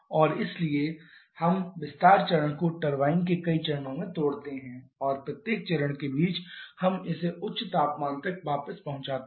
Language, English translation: Hindi, And therefore we also break the expansion stage into several stages of turbine and in between each of the stages we read it back to higher temperature